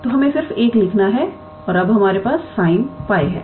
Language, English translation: Hindi, So, let us write just 1 and now we have sin pi yes